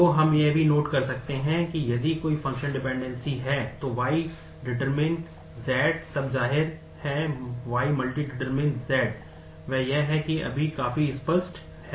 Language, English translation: Hindi, So, we can also note that if there is a functional dependency, Y functionally determines Z then; obviously, Y will multi determine Z, that is that is just quite obvious